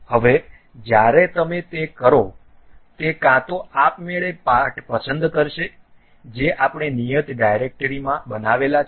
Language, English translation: Gujarati, Now, when you do that either it will automatically select the parts whatever we have constructed in a specific directory